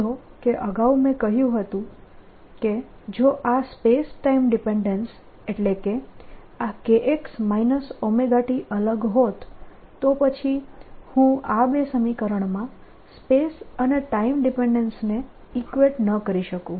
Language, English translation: Gujarati, notice that ah, earlier i had said if the space time dependence that means k x minus omega t was different, then i could not have equated this space and time dependence of the two more explicitly